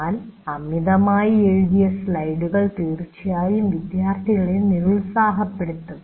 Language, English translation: Malayalam, But overwritten slides can certainly demotivate the students and it happens